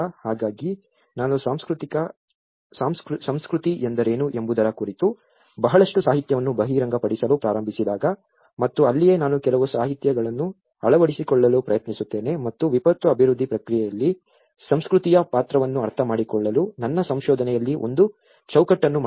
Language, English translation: Kannada, So, this is where when I started revealing a lot of literature on what is culture and that is where I try to adopt certain literatures and made a framework in my research, in order to understand the role of culture, in the disaster development process